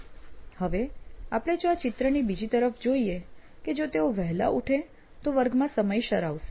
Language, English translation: Gujarati, So, but still the assumption is that if they woke up early, they would be on time to the class